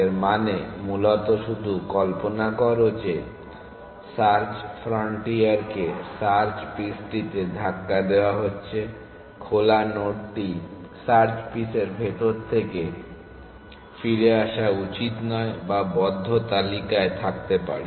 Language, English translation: Bengali, This means basically just imagine the search frontier being pushed out into the search piece the open node should not come back from inside the search piece whatever what could have been in the closed list